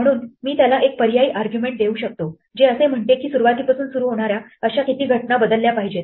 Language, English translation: Marathi, So, I can give it an optional argument saying how many such occurrences starting from the beginning should be replaced